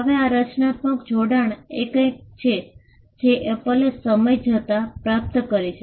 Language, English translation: Gujarati, Now, this creative association is something which Apple achieved over a period of time